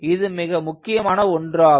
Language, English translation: Tamil, in fact, that is essential